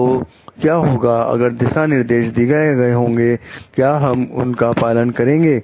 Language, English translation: Hindi, So, what happens if there is a guideline, we can follow it